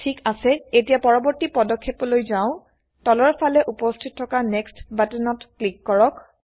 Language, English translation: Assamese, OK, let us go to the next step now, by clicking on the Next button at the bottom